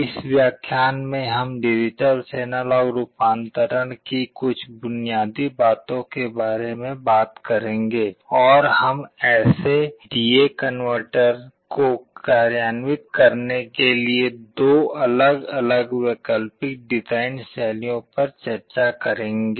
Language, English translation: Hindi, In this lecture we shall be talking about some of the basics of digital to analog conversion and we shall be discussing two different alternate design styles to implement such D/A converters